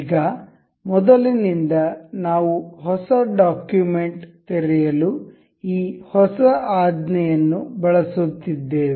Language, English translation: Kannada, So now, from now earlier we have been using this new command to open a new document